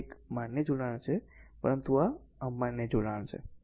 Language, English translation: Gujarati, So, this is a valid connection so, but this is invalid connection